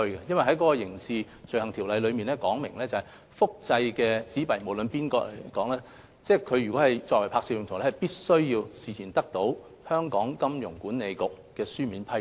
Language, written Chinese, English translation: Cantonese, 第一，《刑事罪行條例》訂明，任何人如要複製香港流通紙幣作拍攝用途，必須事先得到金管局書面批准。, First the Crimes Ordinance stipulates that any person who wants to reproduce any Hong Kong currency note for film shooting purpose must obtain the prior written consent of HKMA